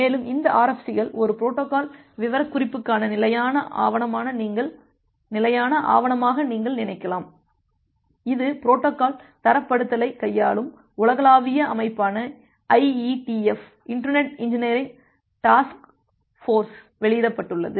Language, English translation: Tamil, So, this RFCs are some the full form of the RFC is request for comments, and this RFCs are you can think of it as a standard document for a protocol specification, which is published by IETF Internet Engineering Task Force, which is a global body to handle protocol standardization